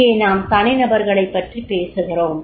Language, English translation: Tamil, Here we are talking about the individuals